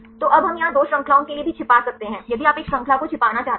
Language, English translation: Hindi, So, now we can also hide for the 2 chains here if you want to hide one chain